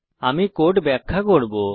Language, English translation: Bengali, I will explain the code now